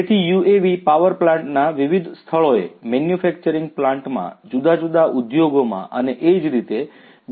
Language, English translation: Gujarati, So, UAVs could be deployed in various locations in the power plants, in the manufacturing plants, in the different industries and so on